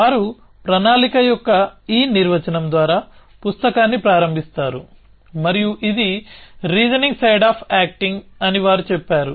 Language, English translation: Telugu, They start the book by this definition of planning and they say it is the reasoning side of acting